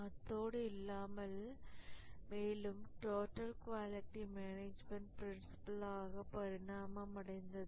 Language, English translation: Tamil, And even that further evolved into the total quality management principles